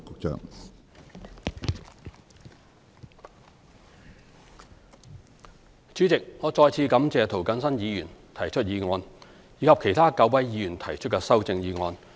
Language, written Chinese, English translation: Cantonese, 主席，我再次感謝涂謹申議員提出這項議案，以及其他9位議員提出的修正案。, President I would like to thank Mr James TO again for moving this motion and my thanks also go to nine other Members who have proposed amendments to the motion